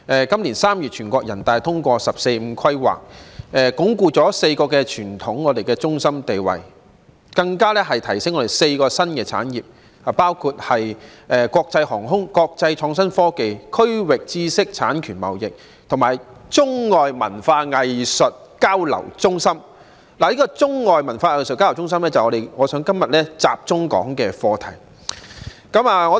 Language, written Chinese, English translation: Cantonese, 今年3月，全國人民代表大會通過"十四五"規劃，鞏固我們4個傳統中心地位，並提升我們的4個新產業，包括國際航空、國際創新科技、區域知識產權貿易，以及作為中外文化藝術交流中心，而中外文化藝術交流中心正是我今天想要集中討論的課題。, In March this year the National Peoples Congress approved the 14th Five - Year Plan which consolidates Hong Kongs status as four traditional centres and promotes the development of four new industries for Hong Kong to become an international aviation hub an international innovation and technology hub a regional intellectual property trading hub and a hub for arts and cultural exchanges between China and the rest of the world . Today I would like to focus my discussion on Hong Kongs development into a hub for arts and cultural exchanges between China and the rest of the world